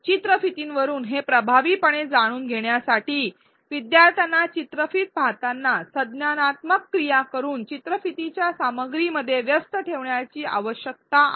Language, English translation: Marathi, To learn it effectively from videos, learners need to engage with the content of the video by doing cognitive activities while viewing the video